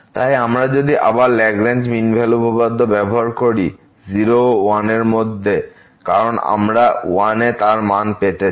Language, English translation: Bengali, So, again if we use the Lagrange mean value theorem in the interval to because you want to estimate